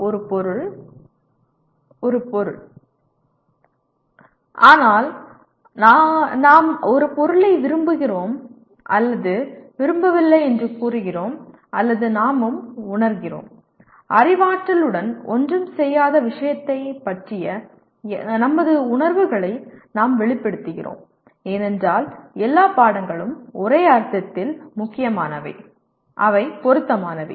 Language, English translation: Tamil, A subject is a subject but we say we like or dislike a subject or we also feel; we express our feelings towards the subject which is nothing to do with cognition because all subjects in one sense are important, they are relevant